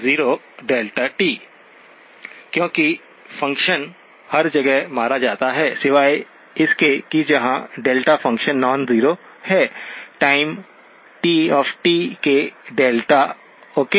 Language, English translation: Hindi, So this gives me, this is the same as X of 0, because the function gets killed everywhere except where the delta function is non zero, time the delta of t, okay